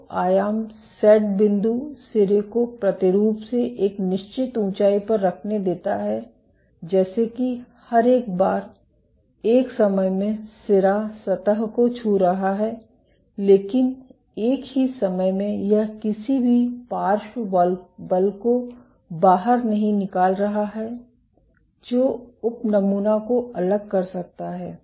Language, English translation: Hindi, So, amplitude set point allows the tip to be positioned at a certain height from the sample such that every once in a while, the tip is touching the surface, but the same time it is not exerting any lateral force which might detach the subsample